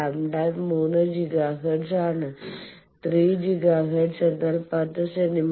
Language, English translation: Malayalam, Lambda is 3 Giga hertz, 3 Giga hertz means 10 centimeter